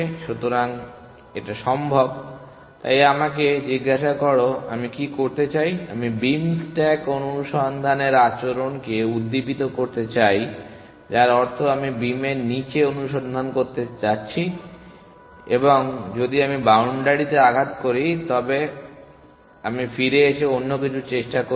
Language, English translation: Bengali, So, it is possible, so let me ask I want to do, I want to stimulate the behaviour of beam stack search which means I will go down searching down the beam and if I hit the boundary I will come back and try something else